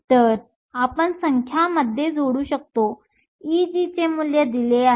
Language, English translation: Marathi, So, we can plug in the numbers the value of E g is given